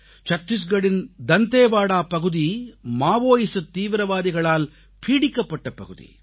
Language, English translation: Tamil, Dantewada in Chattisgarh is a Maoist infested region